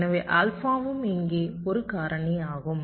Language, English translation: Tamil, so alpha is also a factor here